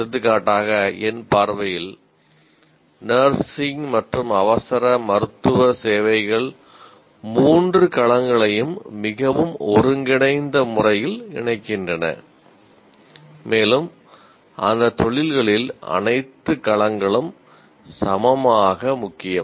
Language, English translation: Tamil, For example, nursing and emergency medical services, in my view, they combine the three domains in a very, very integrated manner and all the domains are equally important in those professions